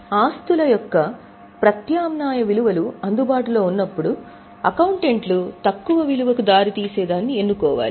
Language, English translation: Telugu, So, when the alternative values of assets are available, accountants need to choose the one which leads to lesser value